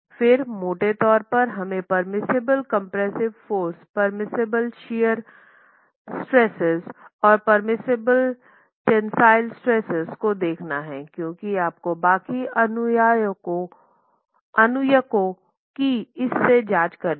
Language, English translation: Hindi, Okay, again broadly we need to define the permissible compressive forces, the permissible shear stresses and the permissible tensile stresses because that's again what you're going to be checking against